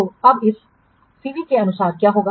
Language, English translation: Hindi, So now what will this CV then accordingly